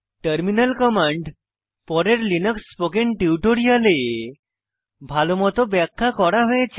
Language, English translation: Bengali, Terminal commands are explained well in the subsequent Linux spoken tutorials in this series